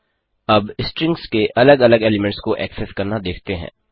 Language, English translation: Hindi, Lets now look at accessing individual elements of strings